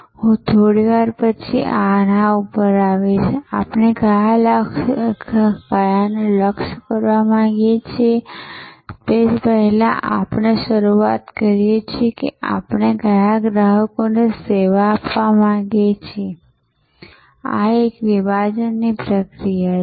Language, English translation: Gujarati, I will come to this which ones would we like to target a little later, first we start with which customers we want to serve, this is the process of segmentation